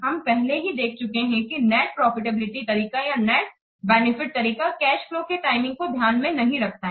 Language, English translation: Hindi, We have already seen net profitability method or net benefit method, the problem is that it doesn't take into the timing value of the cash flows